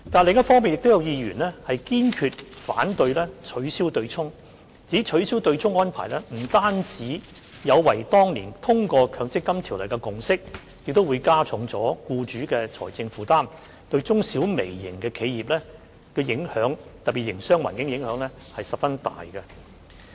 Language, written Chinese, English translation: Cantonese, 另一方面，亦有議員堅決反對，指取消對沖安排不但有違當年通過《強制性公積金計劃條例草案》的共識，亦會加重僱主的財政負擔，對中、小和微型企業，特別是營商環境有很大影響。, On the other hand some Members expressed strong objection stating that the abolition of the arrangement will not only contravene the consensus reached when passing the Mandatory Provident Fund Schemes Bill years back but also increase the financial burdens of employers causing great impacts on small and medium enterprises micro - enterprises and our business environment in particular